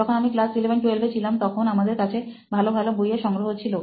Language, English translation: Bengali, When I am in the class 11th 12th, we had a good set of books there